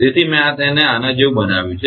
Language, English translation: Gujarati, So, I made it like this